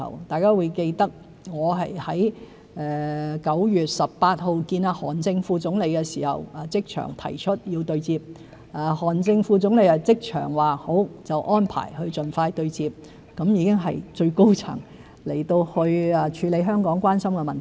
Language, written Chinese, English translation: Cantonese, 大家都記得我在9月18日與韓正副總理會面時即場提出對接要求，韓正副總理即場答允，安排盡快對接，已經是由最高層人員處理香港關心的問題。, As Members may recall when Vice Premier HAN Zheng met with me on 18 September I made a request for a meeting on the spot . Vice Premier HAN Zheng agreed immediately to arrange it as soon as he could . The highest echelon has already been addressing issues of concern to Hong Kong